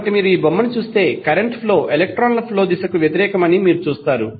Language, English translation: Telugu, So, if you see the figure you will see that the flow of current is opposite to the direction of flow of electrons